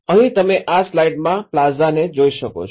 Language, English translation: Gujarati, In here, what you can see in this slide is the plazas